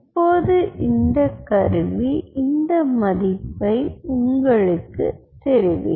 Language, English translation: Tamil, now, that stuff will tell you this value